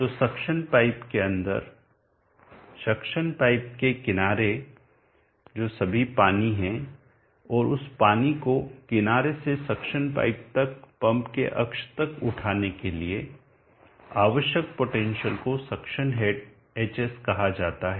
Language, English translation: Hindi, So let us mark that, so all the water that is within the suction pipe up to the edge of the suction pipe and the potential needed to lift that water from the edge to the suction pipe up to the axis of the pump is called the suction head hs